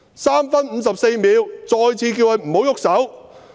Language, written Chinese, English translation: Cantonese, 3分54秒：我再次叫他們不要動手。, At 3 minute 54 second I again told them to stop beating